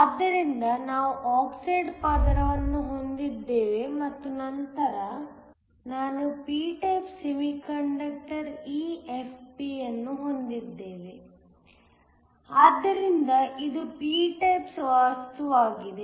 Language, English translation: Kannada, So, we have an oxide layer and then I have a p type semiconductor EFP, so this a p type material